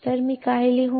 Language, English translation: Marathi, So, what I will write